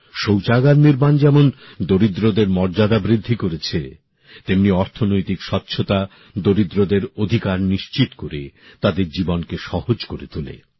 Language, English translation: Bengali, The way building of toilets enhanced the dignity of poor, similarly economic cleanliness ensures rights of the poor; eases their life